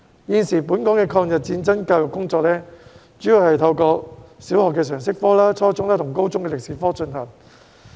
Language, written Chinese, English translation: Cantonese, 現時，本港的抗日戰爭教育工作主要是透過小學的常識科，以及初中和高中的歷史科進行。, At present Hong Kongs education on the War of Resistance is mainly conducted through General Studies in primary schools and History at junior and senior secondary levels